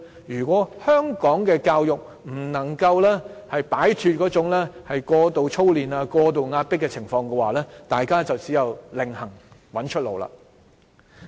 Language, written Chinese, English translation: Cantonese, 如果香港的教育不能夠擺脫過度操練、過度壓迫的問題，大家只有另覓出路。, If the education system in Hong Kong cannot rid itself of excessive drilling or pressure people will have to find another way out